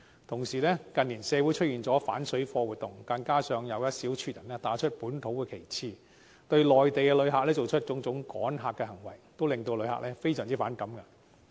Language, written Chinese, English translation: Cantonese, 同時，近年出現反水貨活動，加上一小撮人打着本土旗號，對內地旅客做出趕客行為，令旅客非常反感。, At the same time the activities against parallel traders and the act of a small minority of people to drive away Mainland visitors under the banner of localism had infuriated Mainland visitors